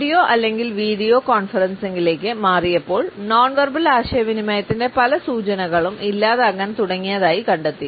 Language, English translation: Malayalam, When we shifted to audio or video conferencing, we found that many cues of nonverbal communication started to become absent